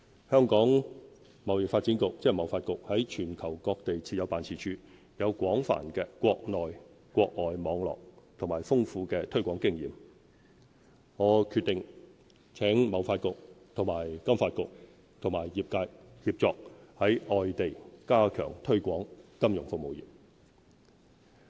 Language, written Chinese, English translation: Cantonese, 香港貿易發展局在全球各地設有辦事處，有廣泛的國內外網絡及豐富的推廣經驗，我決定請貿發局和金發局和業界協作，在外地加強推廣金融服務業。, With offices around the globe the Hong Kong Trade Development Council TDC has an extensive network in the Mainland and overseas as well as solid promotional experience . I have therefore decided to request TDC to collaborate with FSDC and the industry to strengthen the promotion of our financial services industry outside Hong Kong